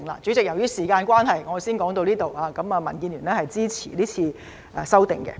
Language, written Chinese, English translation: Cantonese, 主席，由於時間關係，我先說到此，民建聯支持是次修訂。, President owing to time constraint I will stop here . DAB supports the amendments